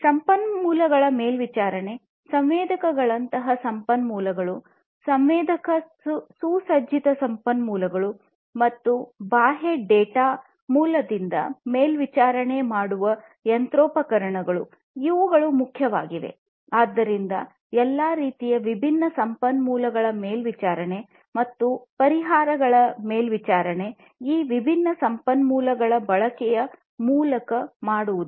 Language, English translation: Kannada, Monitoring the resources; resources such as sensors, sensor equipped resources such as this machinery and monitoring the external data sources, these are important; so monitoring of all kinds of different resources and also the monitoring of the effects through the use of these different resources